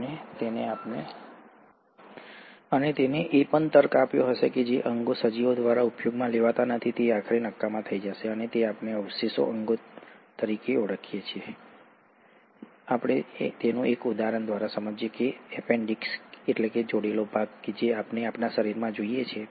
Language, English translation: Gujarati, And, he also reasoned that those organs which are not being used by the organisms will eventually become useless and that is what we call as the vestigial organs, and one of the examples is the appendix that we see in our body